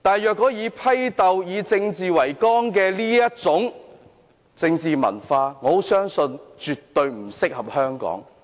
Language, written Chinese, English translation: Cantonese, 我相信以政治為綱的政治文化，絕對不適合香港。, I believe that a political culture founded principally on political tussles is never suitable for Hong Kong